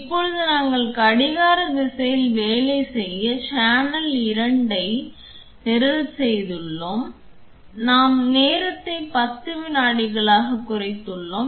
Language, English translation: Tamil, Now we are we have programmed channel 2 to work in clockwise direction and I have reduced the time to 10 seconds